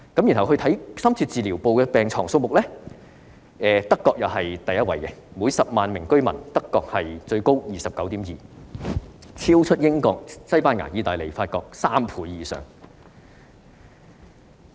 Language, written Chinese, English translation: Cantonese, 至於深切治療部的病床數目，德國仍是第一位，每10萬名居民有 29.2 張，超出英國、西班牙、意大利及法國3倍以上。, As for the number of beds in intensive care units Germany also tops the list with 29.2 beds per 100 000 residents over three times the number in the United Kingdom Spain Italy and France